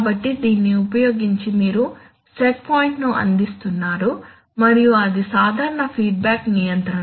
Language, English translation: Telugu, So using this you are providing a set point and then it is an usual feedback control